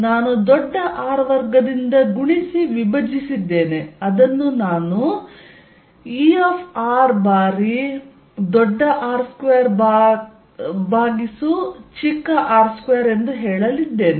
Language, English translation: Kannada, I have multiplied and divided by capital R square, which I am going to say E R times R square over r square